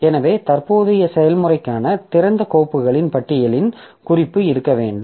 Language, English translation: Tamil, So, we should have a note of the list of open files for the current process